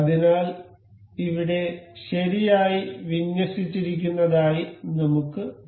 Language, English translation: Malayalam, So, we can see over here aligned in the correct way